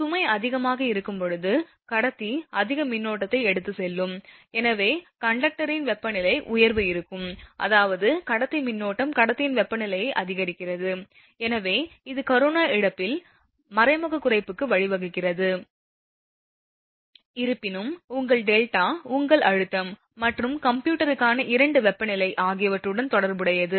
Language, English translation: Tamil, When load is high, so conductor will carry more current; therefore, there will be temperature rise in the conductor, that means, the conductor current rises the conductor temperature hence leading to an indirect reduction in corona loss although, that is your although delta is related to your pressure as well as both temperature for computing that your visual critical voltage